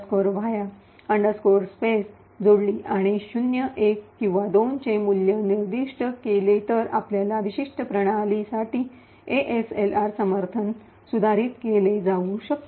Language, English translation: Marathi, randomize va space and specify a value of 0, 1 or 2, the support for ASLR can be modified for your particular system